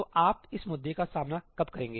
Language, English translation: Hindi, So, when will you encounter this issue